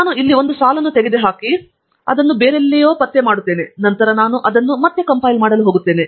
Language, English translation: Kannada, I am just removing one line here and locating it somewhere else; then I am going to compile that again